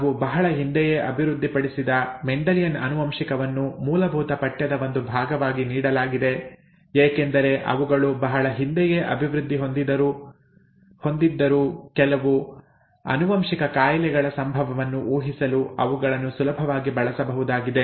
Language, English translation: Kannada, The Mendelian genetics that we had developed a long time ago, it was given as a part of of a basic course because although they were developed a long time ago, they are simple enough to be easily used to predict the occurrence of certain genetic disorders